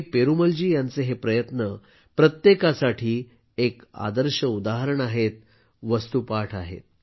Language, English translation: Marathi, Perumal Ji's efforts are exemplary to everyone